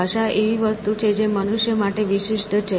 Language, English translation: Gujarati, Language is something which is unique to human beings